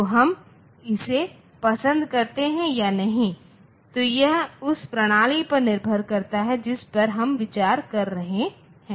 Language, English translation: Hindi, So, whether we like it or not so that depends on the system that we are considering